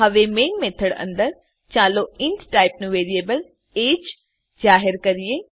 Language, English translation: Gujarati, Now, inside the main method let us declare a variable age of type int